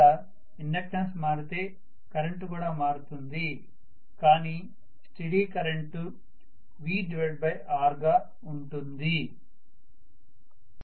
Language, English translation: Telugu, If inductance is changing the current will change but steady state current will be V by R, right